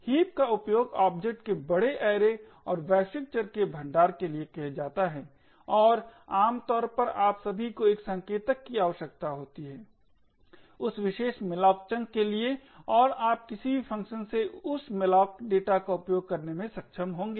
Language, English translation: Hindi, Heaps are used for storage of objects large array and global data and typically all you require is to have a pointer to that particular malloc chunk and you would be able to access that malloc data from any function